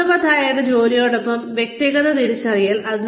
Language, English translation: Malayalam, Personal identification with meaningful work